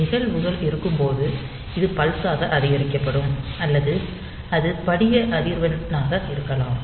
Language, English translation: Tamil, So, it maybe is the events that that is incremented as pulses or it may be the crystal frequency